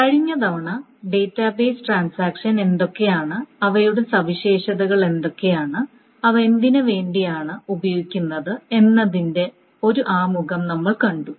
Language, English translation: Malayalam, Last time we saw an introduction to what the database transactions are, what are their properties and what they are used for